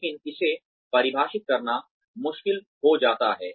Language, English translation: Hindi, But, it becomes difficult to define that